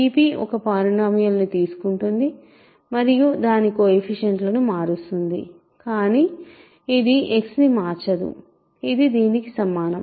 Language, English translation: Telugu, Phi p takes a polynomial and simply changes the coefficients, it does not change X, this is equal to this